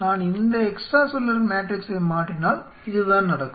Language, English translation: Tamil, I should have the right set of extra cellular matrix